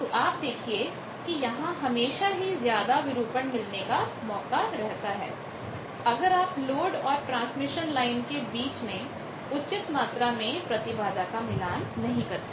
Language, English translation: Hindi, So, you see there is always a high chance of distortion, if you have good amount of mismatch between the load and the transmission line